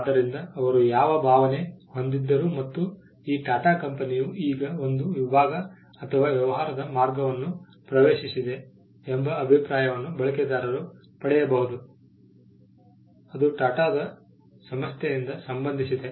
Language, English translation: Kannada, So, regardless of which feel they are, a user may get an impression that this company TATA has now entered a segment or a course of business which they would relate to coming from the house of TATA’s